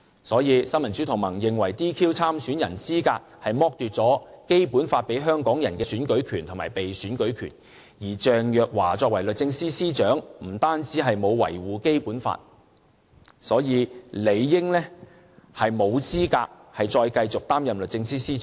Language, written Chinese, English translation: Cantonese, 所以，新民主同盟認為 "DQ" 參選人資格是剝奪《基本法》賦予香港人的選舉權和被選舉權，而鄭若驊作為律政司司長，亦沒有維護《基本法》，所以，理應沒有資格再繼續擔任律政司司長。, Therefore in the opinion of the Neo Democrats the disqualification of the candidates concerned is depriving Hong Kong people of the rights to vote and to stand for election given by the Basic Law . Ms Teresa CHENG being the Secretary for Justice has also failed to uphold the Basic Law and is therefore no longer qualified to be the Secretary for Justice